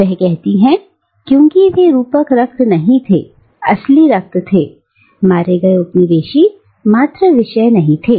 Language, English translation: Hindi, She says, that they were not metaphorical blood, they were real blood, coming out of killed colonised subjects